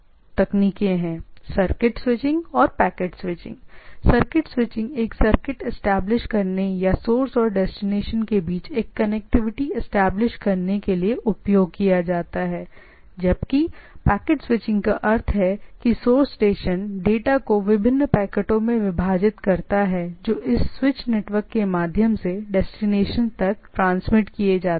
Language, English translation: Hindi, At as the name suggest or roughly suggest, circuit switching is establishing a circuit or establishing a connectivity between source and destination this is the predominant thing; whereas the packets switching says means that individual in the from the source station data can be divided into different packets which are being transmitted through this switch network to the destinations